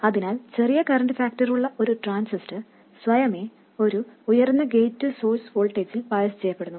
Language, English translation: Malayalam, So, a transistor with a smaller current factor automatically gets biased with a higher gate to source voltage